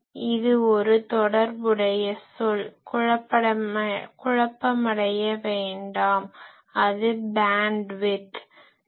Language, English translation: Tamil, That is a related term do not get confused it is bandwidth